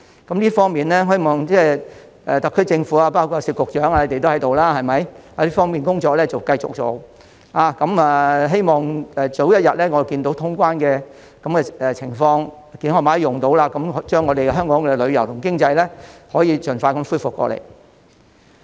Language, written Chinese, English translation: Cantonese, 就這方面，我希望特區政府，包括聶局長也在席，這方面的工作要繼續做，希望早日看到通關，健康碼可以使用，令香港的旅遊和經濟盡快恢復。, In this connection I hope the SAR Government including Secretary Patrick NIP who is here will continue the work so that when the boundary crossings reopens we can launch the Health Code . And our tourism industry and the economy can quickly recover